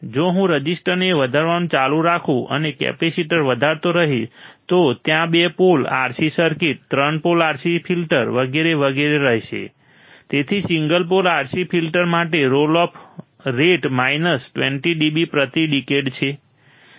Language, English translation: Gujarati, If I keep on increasing the resistors and increasing the capacitors there will be two pole RC circuit, three pole RC filter and so on and so forth all right So, for single pole RC filter my role of rate is minus 20 dB per decade